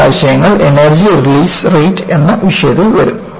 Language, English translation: Malayalam, These concepts will come under the topic on Energy Release Rate